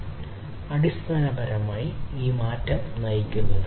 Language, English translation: Malayalam, These drivers are basically driving this change